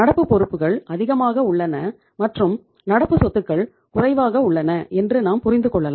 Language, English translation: Tamil, So you can understand that their current liabilities are more than their current assets